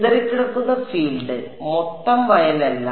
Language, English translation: Malayalam, Scattered field, not the total field